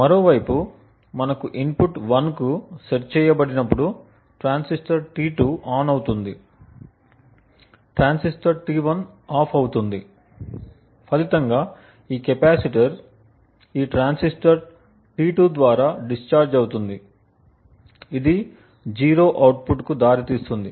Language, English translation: Telugu, On the other hand when we have an input which is set to 1, the transistor T2 turns ON, while transistor T1 would turn OFF, as a result this capacitor would then discharge through this transistor T2 leading to a output which is 0